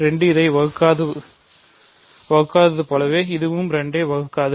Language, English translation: Tamil, 2 does not divide this similarly this also does not divide 2